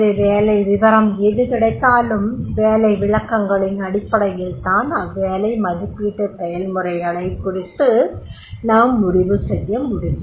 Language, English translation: Tamil, So whatever the job description comes on basis of the job descriptions, we will decide about the job evaluation processes